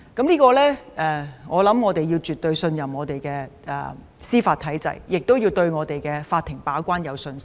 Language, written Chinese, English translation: Cantonese, 大家絕對要相信司法體制，亦要對法庭把關有信心。, We should absolutely trust the judicial system and have confidence in the courts gatekeeping